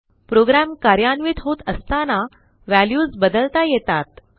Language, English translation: Marathi, The values can change when a program runs